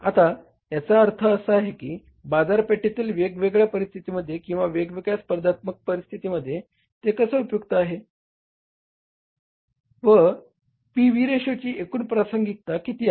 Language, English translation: Marathi, How it is useful in the different market situations or different competitive situations and what is the overall relevance of this PV ratio